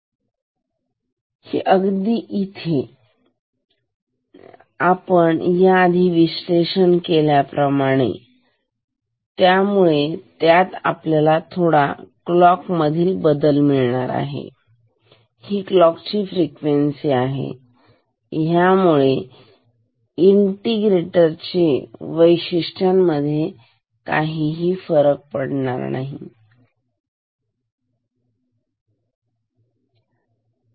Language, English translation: Marathi, Important question is that we have to discuss is this method since it gives to change in clock, this clock frequency or some changing this integrator property, ok